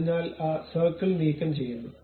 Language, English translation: Malayalam, So, I remove that circle